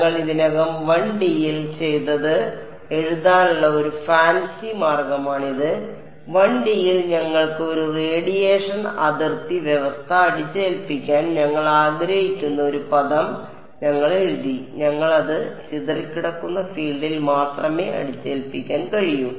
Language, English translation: Malayalam, This is just a fancy way of writing what we have already done in 1D; in 1D we had a term we wanted to impose a radiation boundary condition we wrote we and we could only impose it on the scattered field